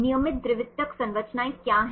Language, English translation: Hindi, What are the regular secondary structures